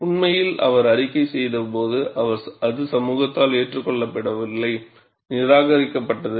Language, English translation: Tamil, In fact, when he reported, it was not accepted by the community; it was rejected also